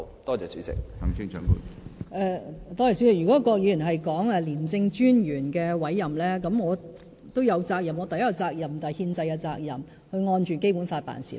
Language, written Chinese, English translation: Cantonese, 郭議員提到廉政專員的委任，就此我亦有責任，第一便是憲制責任，需要按《基本法》辦事。, The issue of appointing the Commissioner of ICAC that Mr KWOK has talked about is also one of my duties . I mean I have the constitutional duty of acting in accordance with the Basic Law